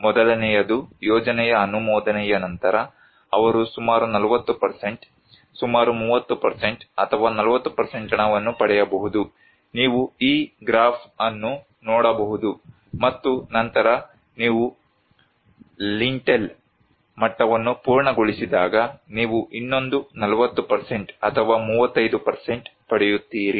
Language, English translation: Kannada, First; just after the sanction of the project, they can get 40% of the; around 30% or 40% of the money you can see this graph and then when you finish the lintel level, you get another 40% or 35%